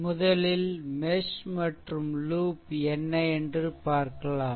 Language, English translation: Tamil, Then first you have to see that mesh and loop thing, right